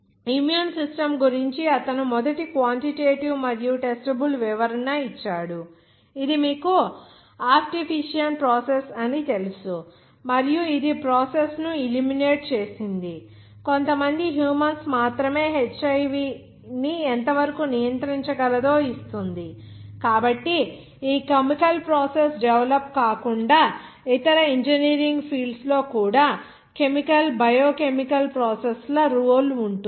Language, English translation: Telugu, He gave the first quantitative and testable explanation of the immune systems which is you know optician process and illuminated the process which gives how much only some humans can control HIV so other than this chemical process development even role in chemical, biochemical processes even in other of engineering field